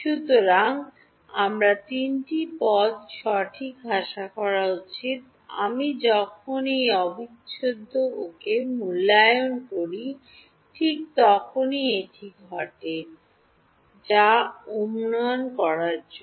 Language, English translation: Bengali, So, I should expect three terms right; in the when I evaluate this integral ok, this just to anticipate what happens